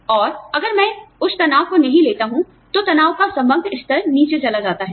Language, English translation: Hindi, And, if I do not take on that stress, the overall level of stress, comes down